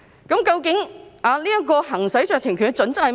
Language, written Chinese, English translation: Cantonese, 究竟行使酌情權的準則為何？, What are the actual criteria for exercising discretion?